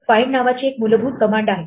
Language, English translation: Marathi, There is a basic command called find